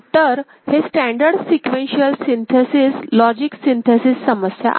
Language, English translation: Marathi, So, this is the standard sequential synthesis, logic synthesis problem